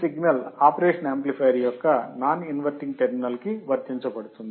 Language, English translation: Telugu, The signal is applied to the non inverting terminal of the operation amplifier